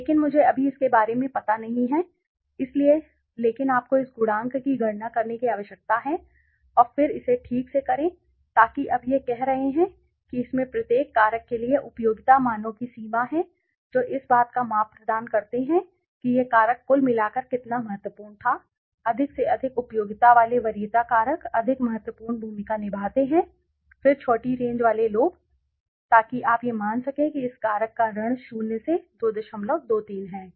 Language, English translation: Hindi, But let me not get into it right now so but you need to calculate this coefficient and then do it right so now what it is saying it has the range of the utility values for each factor provide a measure of how important the factor was to overall preference factor with greater utility play a more significant role then those with smaller ranges right so you can see this suppose factor this factor has minus 2